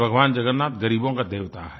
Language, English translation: Hindi, Lord Jagannath is the God of the poor